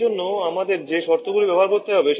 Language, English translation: Bengali, These are the condition that we have to use for that